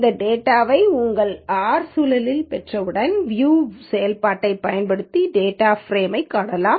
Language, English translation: Tamil, Once you get this data onto your R environment, you can view the data frame using view function